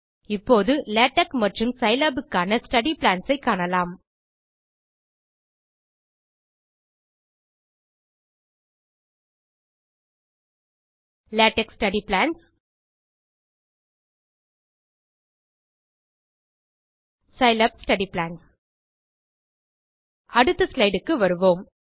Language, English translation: Tamil, Let us now view the study plans for LaTeX and Scilab LaTeX study plans Scilab study plans Let us go to the next slide